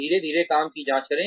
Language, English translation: Hindi, Check the work slowly